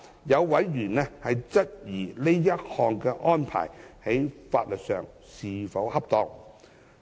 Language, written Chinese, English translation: Cantonese, 有委員質疑這項安排在法律上是否恰當。, A member has queried whether such arrangement would be legally in order